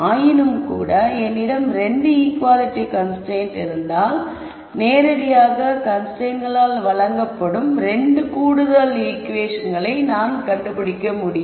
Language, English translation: Tamil, Nonetheless if I had 2 equality constraints I need to find the 2 extra equations which are directly given by the constraints